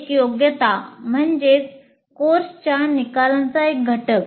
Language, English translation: Marathi, A competency is an element of a course outcome